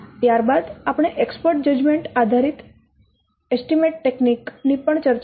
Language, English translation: Gujarati, We'll see first the expert judgment based techniques